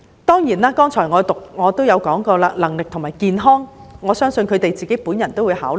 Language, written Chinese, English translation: Cantonese, 當然，我剛才亦提過能力和健康的因素，我相信法官亦會自行考慮。, Certainly I believe the Judges themselves will consider the factors of capability and health mentioned by me earlier